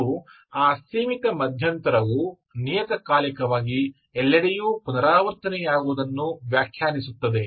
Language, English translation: Kannada, And that finite interval is whatever is defined repeated everywhere as periodically